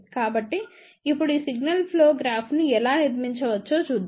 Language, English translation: Telugu, So, now, let us see how we can actually speaking built this signal flow graph